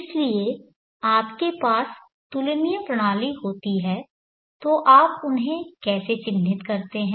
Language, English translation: Hindi, So when you have comparable systems how do you bench mark them